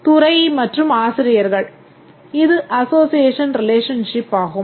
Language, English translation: Tamil, Department and faculty is association relationship